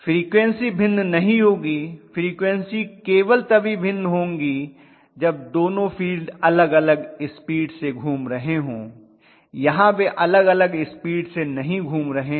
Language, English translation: Hindi, The frequency will not be any different, the frequency will be different only if the 2 phase had been rotating at two different speeds, they are not rotating at two different speeds